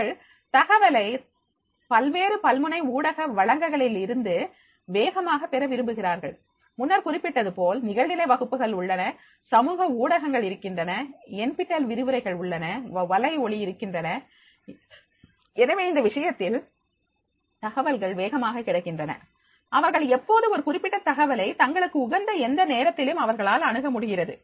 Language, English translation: Tamil, They prefer receiving information quickly from the multiple multimedia resources, as I mentioned earlier that is, there are online classes are there, there are social medias are available, there are the Nptel lectures are available, so there are the You Tubes are there, so therefore, in that case there information access is becoming very quick, whenever they want to make the access to a particular information at any time as per their convenience, then they can make the access